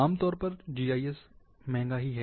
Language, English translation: Hindi, Sometimes, GIS is expensive